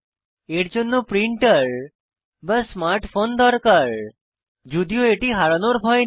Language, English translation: Bengali, One needs a printer or a smart phone however, no worry about losing it